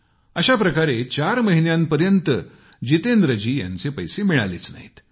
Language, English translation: Marathi, This continued for four months wherein Jitendra ji was not paid his dues